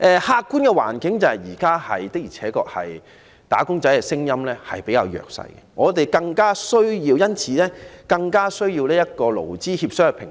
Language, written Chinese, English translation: Cantonese, 客觀的環境是，現時"打工仔"的聲音的確比較弱，我們因而更需要一個勞資協商的平台。, Under the objective circumstances the voices of wage earners are relatively weak thus we need a platform for negotiations between employers and employees